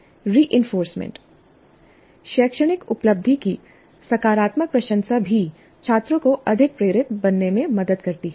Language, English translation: Hindi, And reinforcement, a positive appreciation of the academic achievement also helps the students to become more motivated